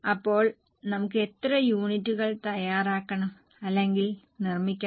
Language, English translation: Malayalam, So, how many units we need to prepare or manufacture